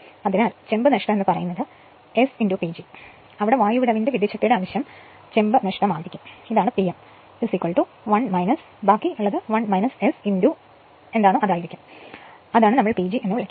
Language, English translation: Malayalam, So, copper loss is equal to S into P G where fraction of air and gap power will be the copper loss and this is P m will be 1 minus rest will be 1 minus S into your what we call your P G right